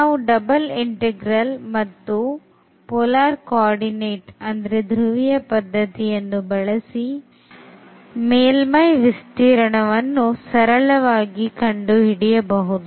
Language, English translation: Kannada, So, but with the help of this double integral and with the help of the polar coordinates we could very easily compute this surface area